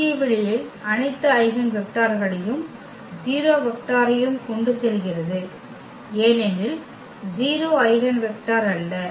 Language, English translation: Tamil, In the null space carries all the eigenvectors plus the 0 vector because the 0 is not the eigenvector